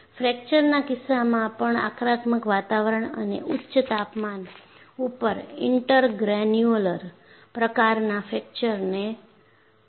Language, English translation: Gujarati, In the case of fracture also, aggressive environment and high temperatures induces intergranular type of fracture